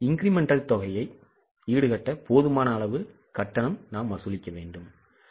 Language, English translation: Tamil, We want to charge them just enough to cover incremental costs